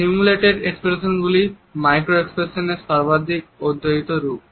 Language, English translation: Bengali, Simulated expressions are most commonly studied forms of micro expressions